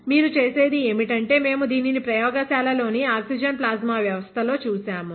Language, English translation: Telugu, What you do is, we have seen this in the oxygen plasma system in the lab